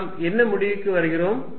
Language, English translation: Tamil, What do we conclude